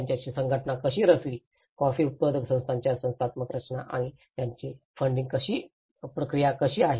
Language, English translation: Marathi, And how their organization structured, the institutional structures of the coffee growers organizations and how their funding process